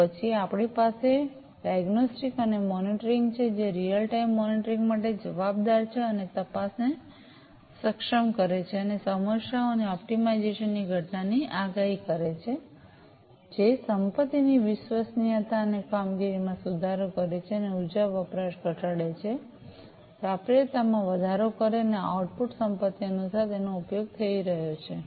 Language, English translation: Gujarati, Then we have the diagnostics and monitoring, which is responsible for real time monitoring, and enabling detection, and prediction of occurrence of problems and optimization, which improves asset reliability and performance, and reducing the energy consumption, increasing availability, and the output in accordance to the assets, that are being used